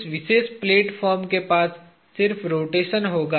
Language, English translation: Hindi, That this particular platform will have which is just the rotation